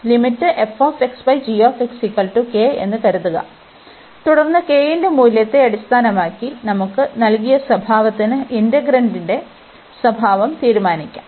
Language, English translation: Malayalam, Suppose, this limit is coming to be k, then based on the value of k we can decide the nature of the integral for the given nature of the other integral